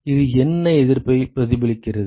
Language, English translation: Tamil, What resistance does it reflect